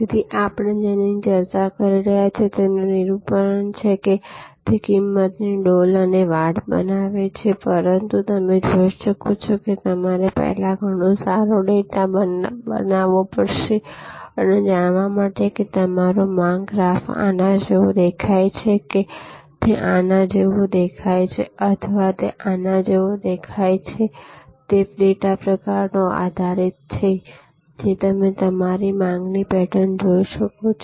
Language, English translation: Gujarati, So, this is a depiction of what we have been discussing; that is creating price buckets and fences, understanding, but as you can see you have to create first get a lot of good data to know whether your demand graph looks like this or it looks like this, or it looks like this; that is based on the kind of data that you have seen of your demand pattern